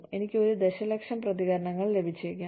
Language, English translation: Malayalam, And, I get, maybe 1 million responses